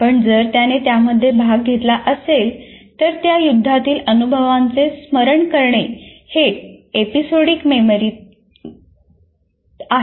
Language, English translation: Marathi, But if he participated in that, recalling experiences in that war is episodic memory